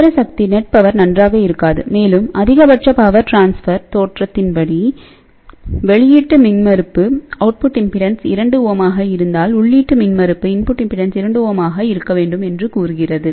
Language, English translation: Tamil, So, the net power will not be very good and also the maximum power transfer theorem says that output impedance is 2 ohm, finally, what I should have here input impedance at this point should be 2 ohm